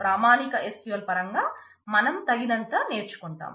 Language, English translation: Telugu, We can do enough in terms of the standard SQL itself